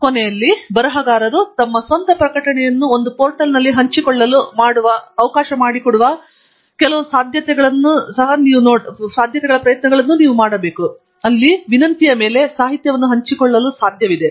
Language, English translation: Kannada, And, of late, there has been also an effort to use some of the possibilities of authors being allowed to share their own publications on a portal, where upon request, it is possible to have the literature shared